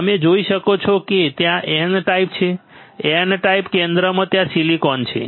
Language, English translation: Gujarati, what you can see is that, you can see there is a N type, N type in the centre there is silicon easy